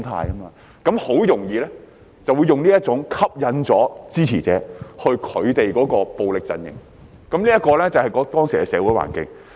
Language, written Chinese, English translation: Cantonese, 這樣，他們很容易用這種方式吸引支持者到他們的暴力陣營，這便是當時的社會環境。, Given this background it is easy for them attract supporters to join their camp of violence in this way and this was the social environment back then